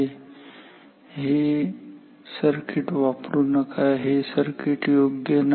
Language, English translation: Marathi, So, do not use this circuit this is a bad circuit